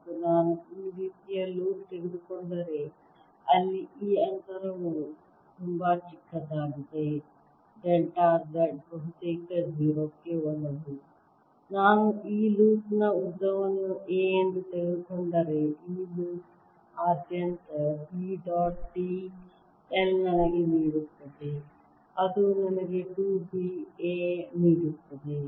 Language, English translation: Kannada, and if i take a loop like this where this distance very, very small, delta z almost into zero, then b dot, b, l across this loop will give me, if i take a length of this loop will be a, will give me two b, a and they should be equal to current enclose by this loop, which is going to be i